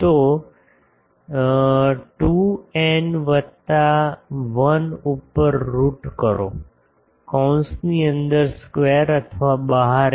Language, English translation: Gujarati, So, root over 2 n plus 1 by inside bracket f square or outside f whatever